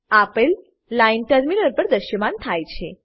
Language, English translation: Gujarati, The following line will be displayed on the terminal